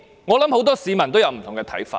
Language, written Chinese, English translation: Cantonese, 我相信很多市民都有不同看法。, I believe many citizens would choose differently than the Government did